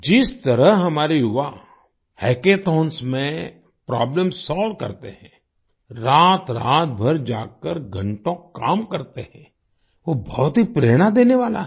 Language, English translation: Hindi, The way our youth solve problems in hackathons, stay awake all night and work for hours, is very inspiring